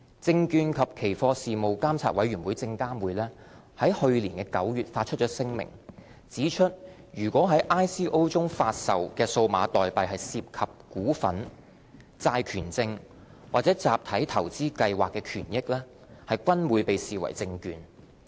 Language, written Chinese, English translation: Cantonese, 證券及期貨事務監察委員會在去年9月發出聲明，指出如在 ICO 中發售的數碼代幣涉及"股份"、"債權證"或"集體投資計劃"的權益，均會被視為"證券"。, In September 2017 the Securities and Futures Commission SFC published a statement which pointed out that if digital tokens offered in an ICO were shares debentures or interests in a collective investment scheme they would fall under the definition of securities